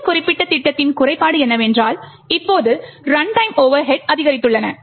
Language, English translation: Tamil, The drawback of this particular scheme is that now the runtime overheads have increased